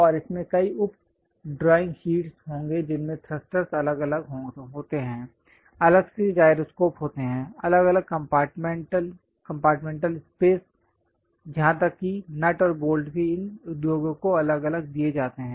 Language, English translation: Hindi, And this will have many sub drawing sheets having thrusters separately, having gyroscope separately, compartmental space separately, even nuts and bolts separately supplied to these industries